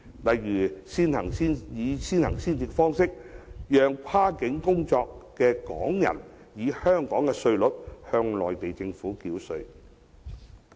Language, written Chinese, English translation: Cantonese, 例如，以先行先試方式，讓跨境工作的港人以香港稅率向內地政府繳稅。, For example allowing Hong Kong residents working across the border to pay tax to the Mainland authorities at the tax rate of Hong Kong on an early and pilot implementation basis